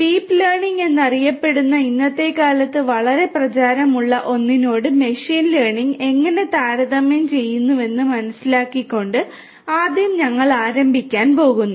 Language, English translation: Malayalam, And first we are going to start with understanding how machine learning compares with something very also very popular nowadays which is known as the deep learning